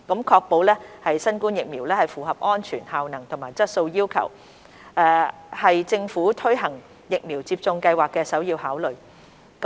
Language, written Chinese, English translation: Cantonese, 確保新冠疫苗符合安全、效能和質素要求，是政府推行疫苗接種計劃的首要考慮。, Ensuring that the COVID - 19 vaccines meet the requirement of safety efficacy and quality is the primary consideration of the Government when implementing the vaccination programme